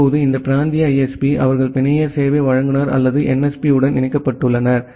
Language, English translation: Tamil, Now this regional ISP, they are connected with the network service provider or the NSP